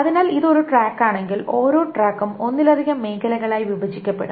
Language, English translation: Malayalam, So if this is one track, each track is broken up into multiple sectors